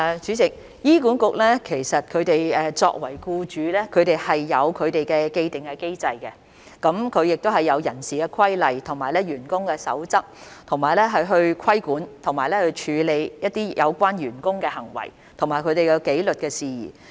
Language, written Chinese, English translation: Cantonese, 主席，醫管局作為僱主，已經設有既定的機制，亦有人事規例和員工守則，以規管和處理有關員工的行為和紀律事宜。, President as an employer HA has an established mechanism as well as human resources regulations and code of conduct to regulate and manage issues in relation to the conduct and discipline of staff